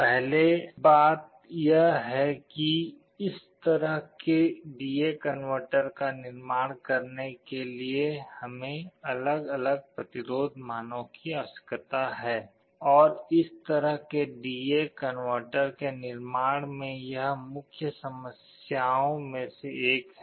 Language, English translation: Hindi, The first thing is that to construct this kind of a D/A converter, we need n different resistance values, and this is one of the main problems in manufacturing this kind of D/A converter